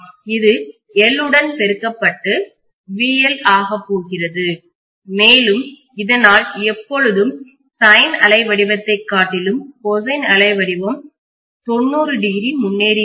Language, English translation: Tamil, So this is multiplied by L, I have to do this also multiply by L and this is going to be my VL, and because of which cosine wave always leads the sin wave by 90 degrees